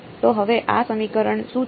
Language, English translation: Gujarati, So, now, what is this equation